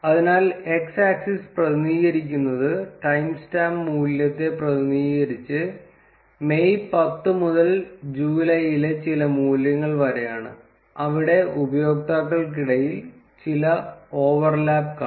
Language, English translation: Malayalam, So, the x axis represents the timestamp value starting from 10th May to somewhere around some values in July, where we can see some overlap between the user